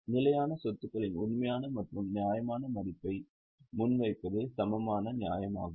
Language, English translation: Tamil, It is equally true to present the true and fair value of fixed assets